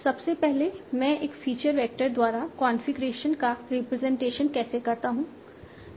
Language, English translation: Hindi, First is how do I represent configuration via feature vector